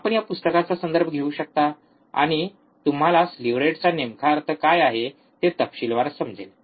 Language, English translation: Marathi, You can refer to this book, and you will get in detail what exactly the slew rate means